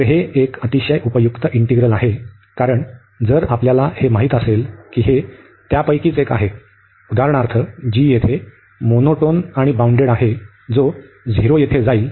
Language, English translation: Marathi, So, this is a very useful integral, because if we know that one of them, so for example g is here this bounded and monotone going to 0 here